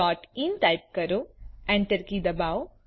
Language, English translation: Gujarati, Google.co.in and press enter